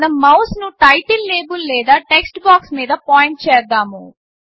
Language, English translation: Telugu, Let us point the mouse over the title label or the text box